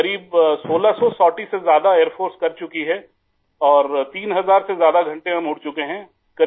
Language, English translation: Urdu, Sir, the Air force has completed more than about 1600 sorties and we have flown more than 3000 hours